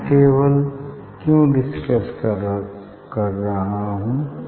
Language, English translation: Hindi, why I am discussing this table